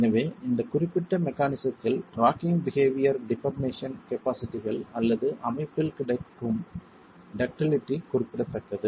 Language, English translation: Tamil, So, in this particular mechanism, because of the rocking behavior, deformation capacities or the ductility that is available in the system is significant